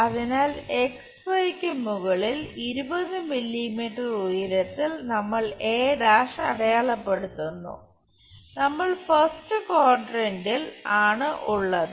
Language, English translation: Malayalam, So, at 20 mm height we mark a’ above XY we are in the first quadrant